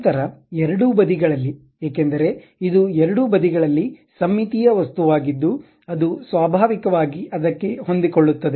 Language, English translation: Kannada, Then on both sides, because this is a symmetric objects on both sides it naturally adjusts to that